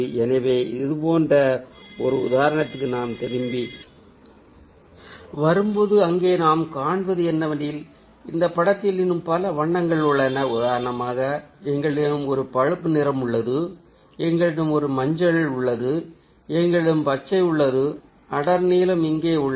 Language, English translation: Tamil, so when we come back to an example like this, what we find there is that, ah, there are many other colors present in this picture, like, for example, we have a brown that is present here